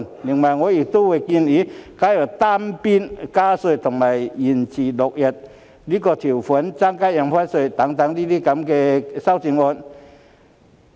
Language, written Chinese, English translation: Cantonese, 此外，我亦會考慮提出加入單邊加稅，以及延遲落實增加印花稅日期等修正案。, Also I will consider proposing amendments to add unilateral tax increases and postpone the date of implementation of the increase in Stamp Duty